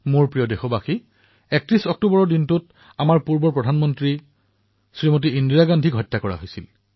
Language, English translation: Assamese, My dear countrymen, on 31st October, on the same day… the former Prime Minister of our country Smt Indira ji was assasinated